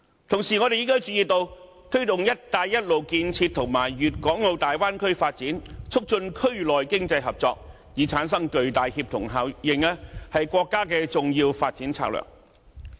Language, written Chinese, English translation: Cantonese, 同時，我們亦注意到，推動"一帶一路"建設與粵港澳大灣區發展，促進區內經濟合作，以產生巨大協同效應，是國家的重要發展策略。, We at the same time also notice that it is a significant development strategy of the country to advance the Belt and Road Initiative and the development of the Guangdong - Hong Kong - Macao Bay Area with a view to promoting economic cooperation within the region so as to create tremendous synergy